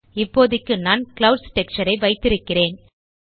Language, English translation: Tamil, For now I am keeping the Clouds texture